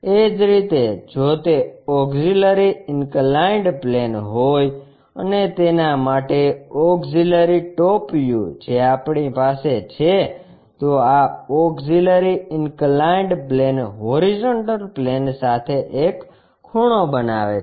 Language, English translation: Gujarati, Similarly, if it is auxiliary inclined plane and auxiliary top views for that what we have is this is auxiliary inclined plane makes an angle with the horizontal plane